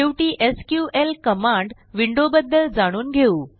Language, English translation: Marathi, Finally, let us learn about the SQL command window